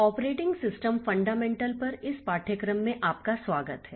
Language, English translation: Hindi, So, welcome to this course on operating system fundamentals